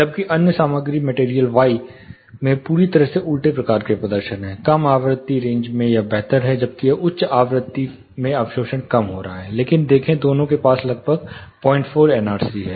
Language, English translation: Hindi, Whereas the other material the material y, has the totally reverse type of performance, in the low frequency range it is better, as it gets higher the absorption is coming down, but as you get; see the NRC both have around 0